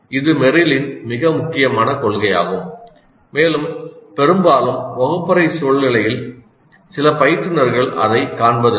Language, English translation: Tamil, This is an extremely important principle of Merrill and quite often in the classroom scenario some of the instructors may be missing it